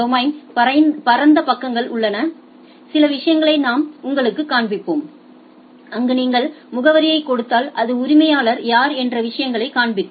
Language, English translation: Tamil, There are domain wide pages we will show you some of the things where if you give the address who is the owner etcetera it displays the things